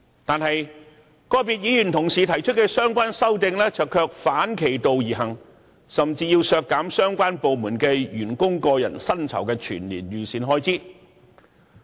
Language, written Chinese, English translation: Cantonese, 可是，個別議員同事提出的相關修正案卻反其道而行，甚至要求削減相關部門員工的個人薪酬全年預算開支。, However the amendments proposed by certain Members are going against the above purpose . Some of these amendments even ask for the reduction of the annual estimated expenditure on the personal emoluments for the staff of the relevant departments